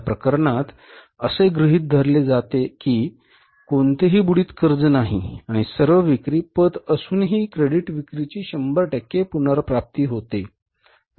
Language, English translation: Marathi, In this case it is assumed, it is given that no bad debts are going to be there and there is a 100% recovery of the credit sales though all all the sales are on credit